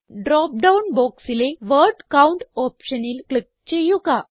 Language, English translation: Malayalam, Now click on the Word Count option in the dropdown box